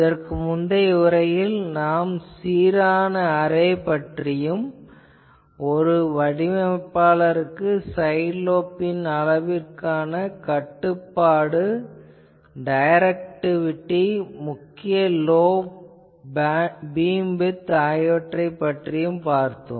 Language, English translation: Tamil, In the previous lecture, we have discussed that an uniform array a designer does not have sufficient control to specify the side lobe level and the directivity or the main lobe beam width